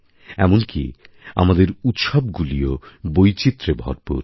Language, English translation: Bengali, Even our festivals are replete with diversity